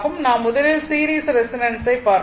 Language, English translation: Tamil, So, first we will see the series resonance